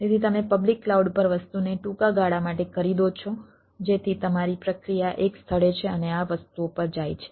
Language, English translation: Gujarati, so you purchase the thing on a public cloud from a from a for a short period of time, so long your process is an place and this goes to the things